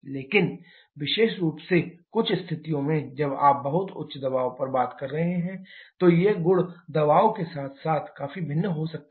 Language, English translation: Hindi, But certain situations particularly when you are talking on very high pressure these properties can significantly vary with the pressure as well